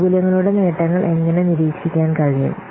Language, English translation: Malayalam, How can monitor the achievement of the benefits